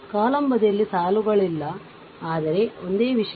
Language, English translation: Kannada, of the column side not in the rows, but same thing